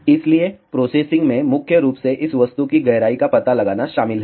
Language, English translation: Hindi, So, the processing involves finding out the depth of this object primarily